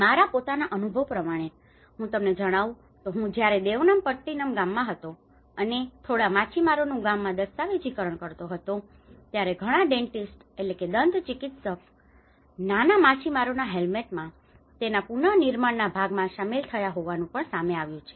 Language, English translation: Gujarati, My own experience when I was in Devanampattinam village, and I was documenting a few fisherman villages, I have come across even many dentists is involved in the reconstruction part of it in the smaller fisherman Hamlets